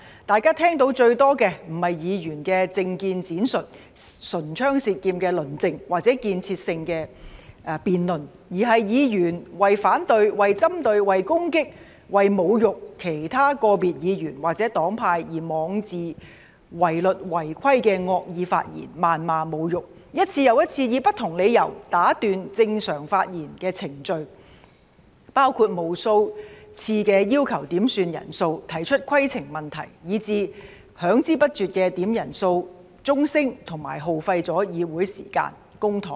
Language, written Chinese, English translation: Cantonese, 大家聽到最多的，不是議員的政見闡述、唇槍舌劍的論證，或者建設性的辯論，而是議員為反對、為針對、為攻擊、為侮辱其他個別議員或者黨派而妄自違律、違規的惡意發言、謾罵和侮辱，一次又一次以不同理由打斷正常的發言程序——包括無數次要求點算人數、提出規程問題——以至響之不絕的點算人數鐘聲，耗費議會的時間和公帑。, What they heard most were not Members elaboration on political views heated arguments or constructive debates but the malicious remarks abuses and insults that they made arbitrarily in breach of the rules for the purpose of opposing targeting attacking and humiliating other individual Members or parties . They also repeatedly interrupted the normal speaking order on different grounds―including requesting headcounts and raising points of order countless times―as well as the incessant ringing of the quorum bell which were a waste of the Councils time and public funds